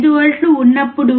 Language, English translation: Telugu, 5 volts first